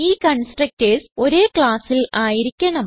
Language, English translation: Malayalam, The constructors must be in the same class